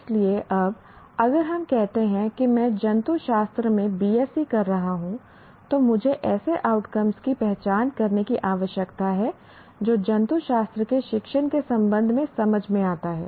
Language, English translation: Hindi, So, now if we say I am doing BSC in zoology, I need to identify outcomes that make sense with respect to the discipline of zoology